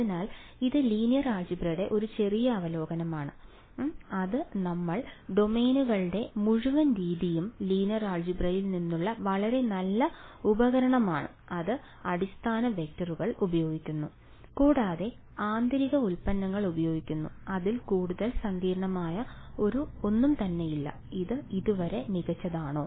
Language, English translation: Malayalam, So, this is sort of brief review of linear algebra that we will use ok; because the whole method of moments is a very very nice tool from linear algebra only, it uses basis vectors and it uses inner products nothing much nothing more complicated in that is this fine so far